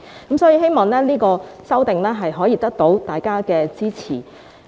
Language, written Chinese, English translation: Cantonese, 所以，我希望這項修訂得到大家的支持。, I thus hope that the amendment will have the support of Members